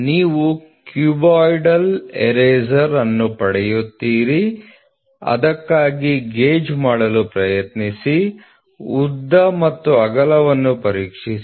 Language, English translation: Kannada, You get a cuboidal eraser try to make a gauge for it, to check for length and width